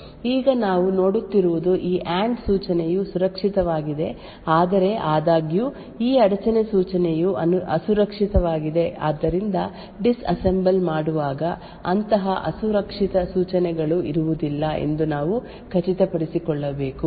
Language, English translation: Kannada, Now what we see is that this AND instruction is safe but however these interrupt instruction is unsafe therefore while doing the disassembly we need to ensure that such unsafe instructions are not present